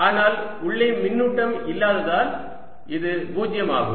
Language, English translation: Tamil, but since there's no charge inside, this fellow is zero